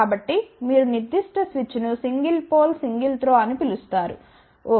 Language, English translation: Telugu, So, you will get that particular switch is known as single pole single throw ok